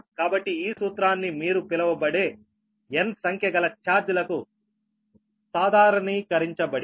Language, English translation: Telugu, what you call is generalized here for n number of charges, right